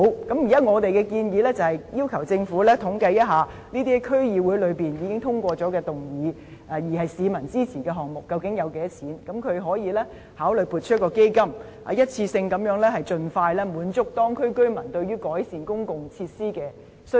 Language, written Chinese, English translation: Cantonese, 我們現在的建議是要求政府統計這些在區議會內已經動議通過，並獲市民支持的項目，究竟需款若干，然後政府可以考慮撥款成立基金，一次過盡快滿足當區居民對於改善公共設施的需求。, Our proposal now is to ask the Government to tally the funds required by these projects on which DCs have passed motions and for which there is public support then the Government can consider allocating funds to establish a fund to meet the demands of local residents for improving public facilities in one stroke and as soon as possible